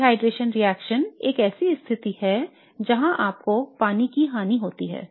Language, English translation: Hindi, Dehydration reaction is a situation where you have loss of water